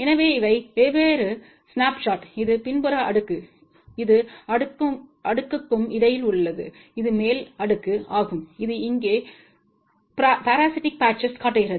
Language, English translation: Tamil, So, these are the different snapshots, this is the backside layer, this is the in between layer and this is the top layer which shows the parasitic patches over here